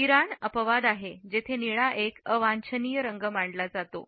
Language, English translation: Marathi, Iran is an exception where blue is considered as an undesirable color